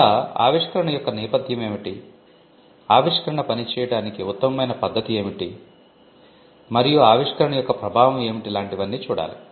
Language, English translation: Telugu, Like, what is the object of the invention, what is the best method of working the invention and what is the impact of the invention